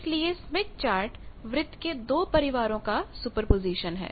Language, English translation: Hindi, So, smith chart is superposition of two families of circles